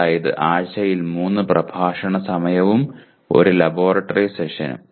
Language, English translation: Malayalam, That is 3 lecture hours and 1 laboratory session per week